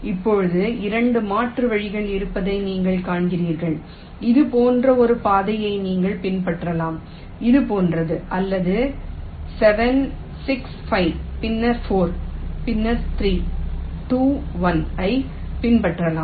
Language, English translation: Tamil, either you can follow a path like this, like this, like this, or you can follow seven, six, five, then four, then three, two, one